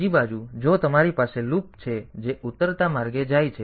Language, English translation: Gujarati, On the other hand, if you have got a loop which goes in the descending way